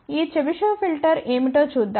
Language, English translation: Telugu, Let us see what is this Chebyshev filter